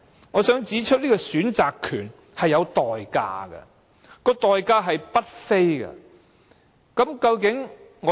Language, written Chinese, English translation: Cantonese, 我想指出，這個選擇權是有代價的，而且是代價不菲。, I would like to point out that there is a cost for this right to choose